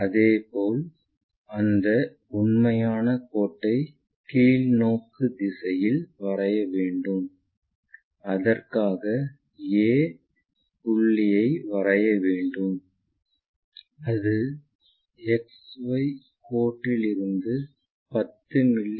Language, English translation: Tamil, Similarly, let us locate that true line in the downward direction for that we have to project point a and that supposed to be 10 mm below XY line